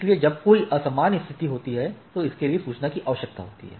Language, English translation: Hindi, So, if there is any abnormal situation, so it requires a notification of the thing